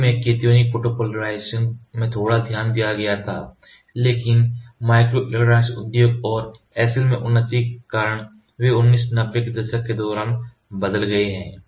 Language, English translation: Hindi, Initially cationic photopolymerization received little attention, but they have changed during the 1990s due to advancement in the microelectronic industry and in SL